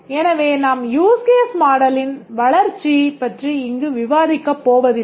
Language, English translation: Tamil, Therefore we will not be discussing development of use case model here